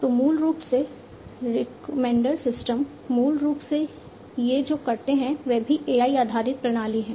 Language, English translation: Hindi, So, recommender systems basically what they do these are also AI based systems